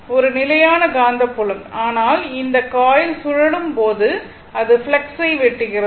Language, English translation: Tamil, It is a constant magnetic field, but when this coil is revolving it is cutting the flux, right